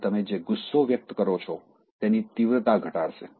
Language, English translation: Gujarati, And it will reduce the intensity of the anger you are likely to express